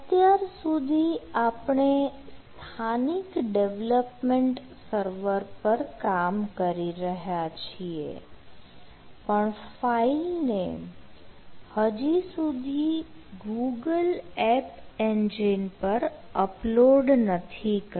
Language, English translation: Gujarati, so till now we are developing in a local development server, but the files are not yet uploaded in the google app engine